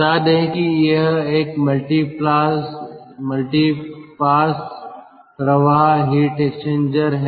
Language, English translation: Hindi, lets say this is a multi pass flow heat exchanger